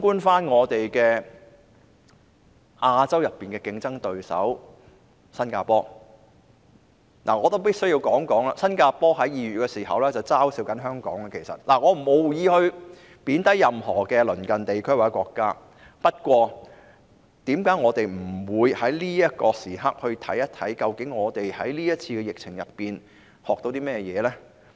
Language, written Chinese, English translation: Cantonese, 反觀亞洲區內的競爭對手新加坡——我必須說，新加坡在2月曾經嘲笑香港——我無意貶低任何鄰近地區或國家，但為何我們不趁這個時機，看看究竟我們在這次疫情中學到甚麼呢？, In contrast Singapore our competitor in Asia―I must say that Singapore has mocked Hong Kong in February―I do not intend to belittle any neighbouring regions or countries but why do we not take this opportunity to examine what we have learnt during the epidemic?